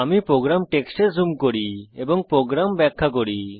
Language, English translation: Bengali, Let me zoom into the program text and explain the program